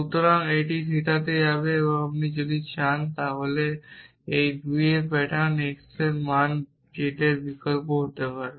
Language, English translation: Bengali, So, this will go into theta so this is if you want to may these 2 patterns same substitute for x the value z